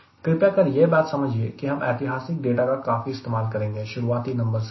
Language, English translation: Hindi, what i am trying to tell you is we will be using lot of historical data to get the initial numbers